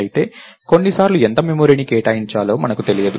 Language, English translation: Telugu, However, sometimes we do not know how much memory to allocate